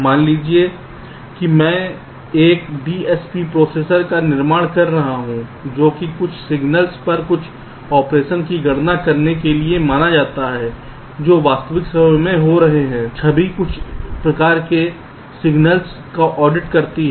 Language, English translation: Hindi, suppose i am building a dsp processor which is suppose to compute some operation on some signals which are coming in real time image, audios, some kind of signals